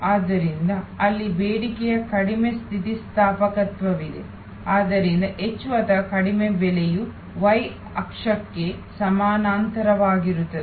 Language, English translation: Kannada, So, there is less elasticity of demand there, so more or less the demand will be steady almost parallel to the y axis